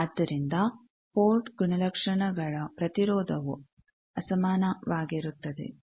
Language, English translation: Kannada, So, port characteristics impedance is unequal